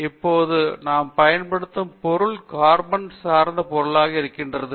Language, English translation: Tamil, Now, in the material that we are now using is carbon materials are carbon based materials